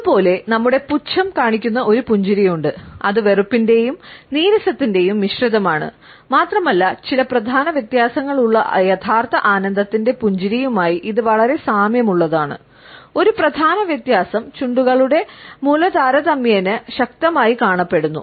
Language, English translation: Malayalam, Similarly, we have a smile which shows our contempt, it is a mixture of disgust and resentment and it is very similar to a smile of true delight with some major differences, with a major difference that the corner of lips appear relatively tightened